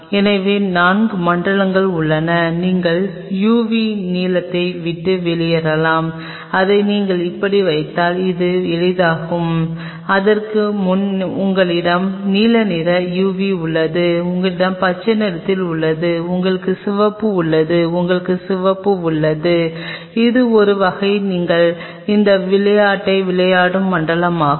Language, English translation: Tamil, So, there are four zones where can play away u v blue you have if you put it like this, it will make easy, you have blue uv before that, you have green you have red and you have far red, this is the kind of zone where you are playing this game